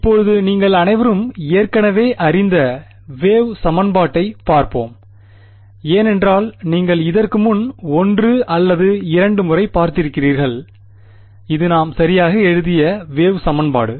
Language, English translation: Tamil, Now let us look at the wave equation that you are all already familiar with because you have seen it once or twice before, this is the wave equation that we had written right